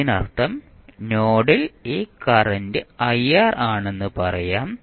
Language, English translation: Malayalam, That means that let us say that node this is the current ir